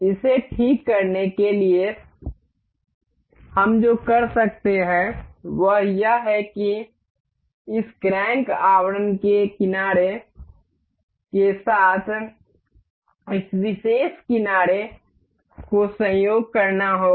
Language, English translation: Hindi, To fix this, what we can do is we will have to coincide this particular edge with the edge of this crank casing